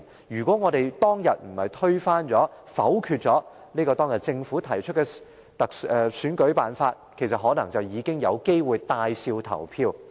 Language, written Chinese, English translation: Cantonese, 如果當天沒有推翻、沒有否決政府提出的選舉辦法，便可能有機會帶笑投票。, In his opinion has the method proposed by the Government for the selection of the Chief Executive not been overthrown and negatived back then it would be possible for us to vote with a smile today